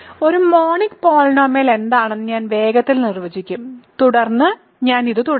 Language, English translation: Malayalam, So, I will quickly define what is a monic polynomial and then I will continue this